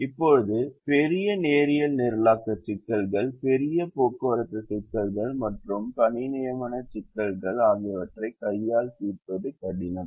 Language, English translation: Tamil, now, large linear programming problems, large transportation problems and assignment problems, it's difficult to solve them by hand